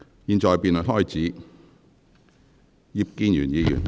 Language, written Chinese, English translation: Cantonese, 現在辯論開始，是否有委員想發言？, The debate now commences . Does any Member wish to speak?